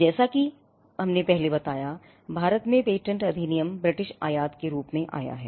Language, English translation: Hindi, As we mentioned before, the patents act in India came as a British import